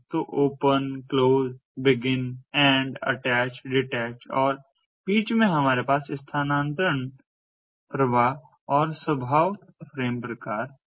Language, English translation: Hindi, so open, close, begin, end, attach, detach and in between we have transfer flow and disposition frame frame types